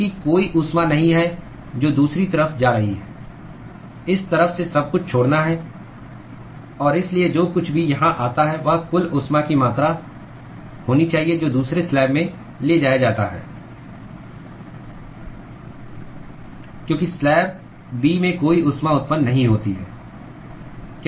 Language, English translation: Hindi, Because there is no heat that is leaving on the other side, everything has to leave through this side; and so, whatever comes here should be the total amount of heat that is transported in the second slab, because there is no heat generation in slab B